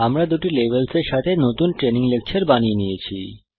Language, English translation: Bengali, We have created a new training lecture with two levels